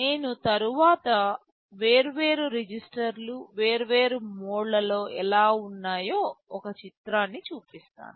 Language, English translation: Telugu, I shall show a picture later with the different registers, how they exist in different modes